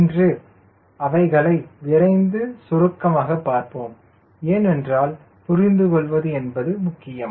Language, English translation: Tamil, today, quickly we will summarize because it is important to understand